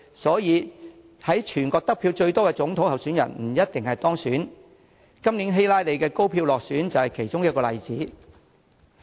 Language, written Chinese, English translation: Cantonese, 所以，在全國得票最多的總統候選人不一定當選，今年希拉莉高票落選便是其中一個例子。, Therefore the presidential candidate securing the highest number of popular votes does not necessarily get elected such as Hillary CLINTON who lost the election despite winning more votes from the people